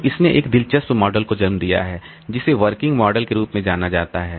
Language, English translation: Hindi, So, this has led to one interesting model which is known as working set model